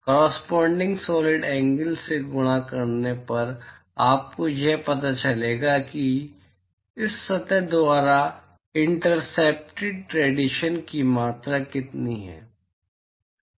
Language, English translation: Hindi, Multiplied by the corresponding solid angle will tell you what is the amount of radiation that is intercepted by this surface